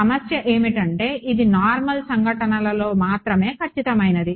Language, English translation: Telugu, The problem is, its exact only at normal incidents